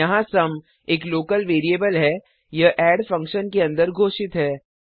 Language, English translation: Hindi, Here sum is a local variable it is declared inside the function add